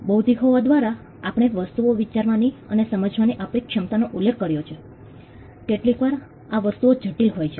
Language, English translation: Gujarati, By being intellectual, we referred to our ability to think and understand things, sometimes these things are complicated